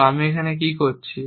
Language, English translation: Bengali, So, what am I doing here